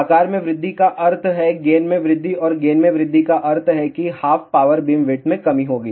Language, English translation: Hindi, Size increases mean gain increases and gain increases mean half power beamwidth will decrease